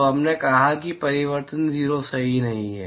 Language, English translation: Hindi, So, we said that the reflectivity is not 0